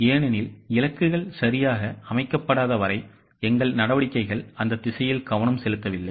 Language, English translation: Tamil, Because as long as the goals are not set correctly, our actions are not focused in that direction